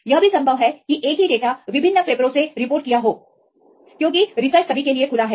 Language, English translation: Hindi, It is also possible that same data could be reported from different papers because research is open everyone